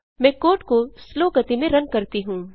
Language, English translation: Hindi, Let me run the code at slow speed